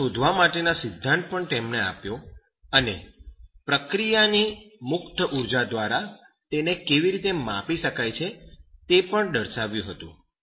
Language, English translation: Gujarati, And he gave that theory to determine and also by measuring the free energy of the reaction processes